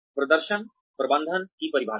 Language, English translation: Hindi, Definitions of performance management